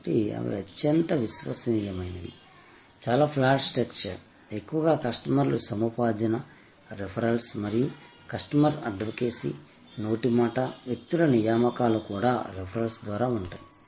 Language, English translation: Telugu, So, they are highly reliable, very flat structure, mostly a customer acquisition is through referrals and customer advocacy, word of mouth, recruitment of people are also through referrals